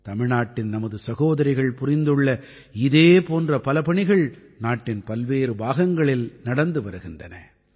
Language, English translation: Tamil, Similarly, our sisters from Tamilnadu are undertaking myriad such tasks…many such tasks are being done in various corners of the country